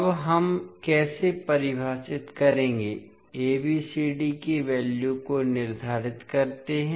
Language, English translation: Hindi, Now, how we will define, determine the values of ABCD